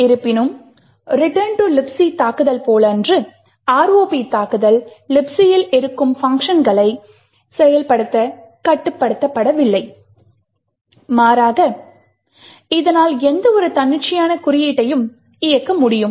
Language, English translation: Tamil, However, unlike the return to libc attack the ROP attack is not restricted to execute functions that are present in libc, rather it can execute almost any arbitrary code